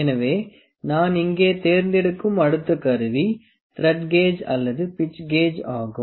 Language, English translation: Tamil, So, the next instrument I will pick here is the Thread Gauge or Pitch Gauge